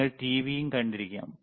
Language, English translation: Malayalam, y You may also have seen TV